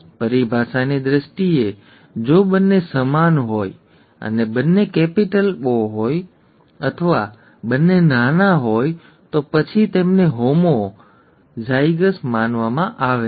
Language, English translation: Gujarati, In terms of terminology, if both are the same, and either both capitals or both smalls, then they are considered homo, same, zygous